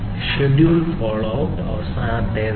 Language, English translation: Malayalam, Schedule follow up is the last one